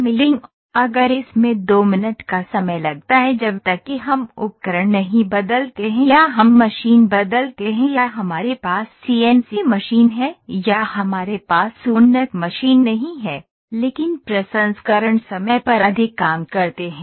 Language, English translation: Hindi, The milling it has to if it has to take 2 minutes unless we change the tools, we change the machine or we have the CNC machine or have advanced machine we cannot, but work on more on the processing times